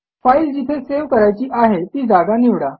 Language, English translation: Marathi, Choose the location to save the file